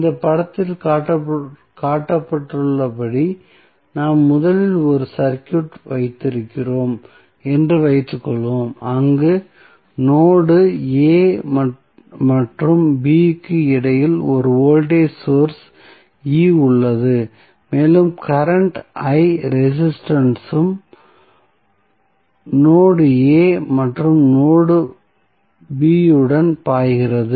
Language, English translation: Tamil, Suppose, we have originally 1 circuit as shown in this figure, where 1 voltage source E is present between node A and B and it is causing a current I to flow in the resistance and along the note A and B